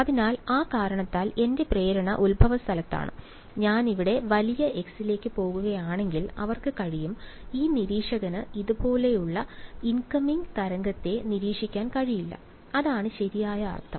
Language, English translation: Malayalam, So, for that reason because my impulse is at the origin; they can if I am stand going to large x over here this observer cannot possibly observe and incoming wave like this, that is what it would mean right